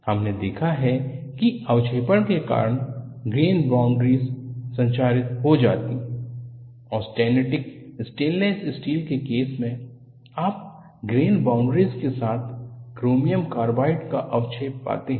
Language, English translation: Hindi, We have seen the grain boundaries are corroded due to precipitation; in the case of austenitic stainless steel, you find precipitation of chromium carbide, along the grain boundary